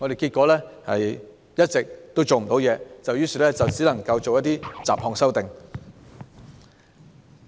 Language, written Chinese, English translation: Cantonese, 結果，我們一直做不到太多，只能作出一些雜項修訂。, As a result we have always failed to do much and we can only make miscellaneous amendments